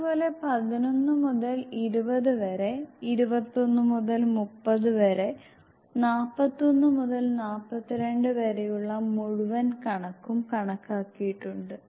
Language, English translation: Malayalam, Similarly they 11 to 20, 21 to 30 likewise till 41 to 42 the entire figure is calculated